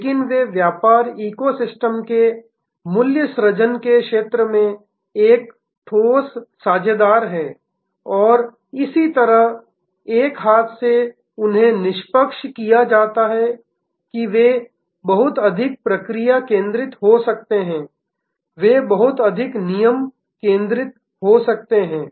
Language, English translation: Hindi, But, they are a solid partner in the value generating constellation of the business eco system and so on, one hand they can be dispassionate they can be much more process focused they can be much more rule focused